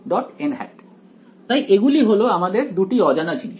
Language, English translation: Bengali, So, these are my 2 unknowns